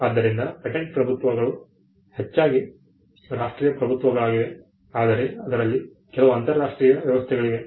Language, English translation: Kannada, So, patent regimes are largely national regimes, but there are few international arrangements